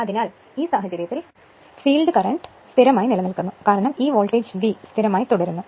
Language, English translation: Malayalam, So, in that in that case, your field current I f remain constant because, nothing is connected here because, this voltage V is remains constant